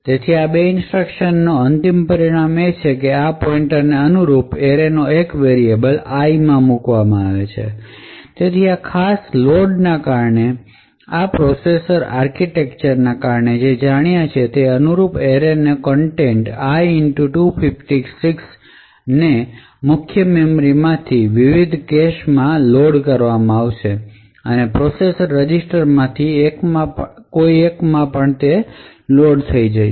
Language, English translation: Gujarati, Therefore, the end result of these two instructions is that corresponding to this pointer one element of the array is loaded into this variable called i, so due to this particular load what we know due to the processor architecture is that the contents of the array corresponding to i * 256 would be loaded from the main memory into the various caches and would also get loaded into one of the general purpose registers present in the processor